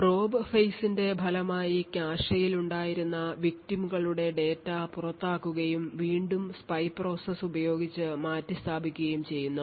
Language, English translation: Malayalam, As a result of the probe phase victim data which was present in the cache gets evicted out and replaced again with the spy process